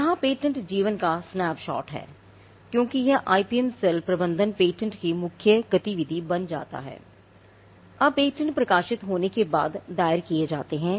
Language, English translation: Hindi, Now, here is snapshot of the patent life because, this becomes the main activity of the IPM cell managing patents, now patents are filed after the time period they are published